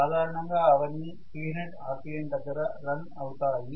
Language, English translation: Telugu, So they will normally run at 3000 rpm